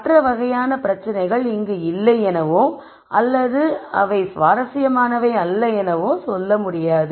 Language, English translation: Tamil, This is not to say that other categories of problems do not exist or that they are not interesting